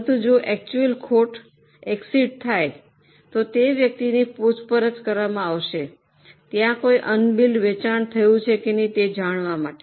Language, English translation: Gujarati, But if actual loss exceeds that, then the person will be questioned whether there was any unbuilt sale or something like that